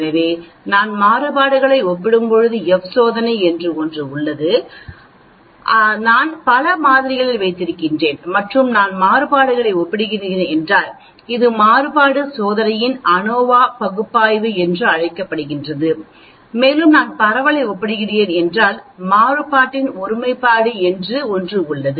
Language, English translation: Tamil, So when I am comparing variances there is something called F test or if I am having multiple samples and I am comparing variances then this is something called ANOVA analysis of variance test and if I am comparing the spread there is something called homogeneity of variance